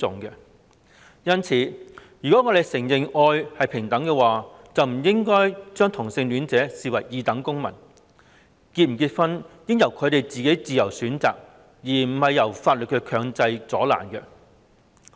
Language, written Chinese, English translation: Cantonese, 因此，如果我們承認愛是平等，便不應將同性戀者視為二等公民，是否結婚應由他們自由選擇，而非藉着法律強加阻撓。, Hence if we agree that everyone is equal before love we should not treat homosexual people as second - class citizens . They should be free to decide whether they would get married instead of being prevented from doing so by law